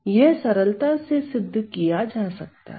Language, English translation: Hindi, So, that can be shown right away